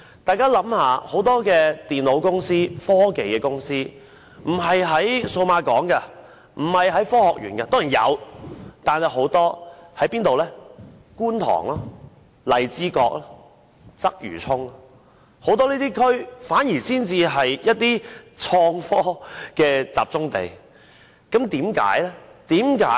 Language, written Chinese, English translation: Cantonese, 大家試想，很多電腦及科技公司並非設在數碼港或科學園——當然也是有的——但很多均位於觀塘、荔枝角及鰂魚涌，這些地區反而是創科的集中地，為何會這樣？, Let us think about it . Many computer and technology companies are not located in the Cyberport or the Science Park . Of course there are some companies in those two places but many of them are located in Kwun Tong Lai Chi Kok and Quarry Bay forming clusters of innovation technology companies